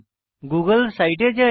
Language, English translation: Bengali, Lets go to the google site